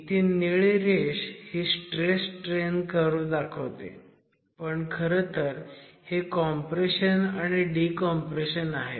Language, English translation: Marathi, As I said, the blue line shows you the stress strain curve but these are actually compressions and decompressions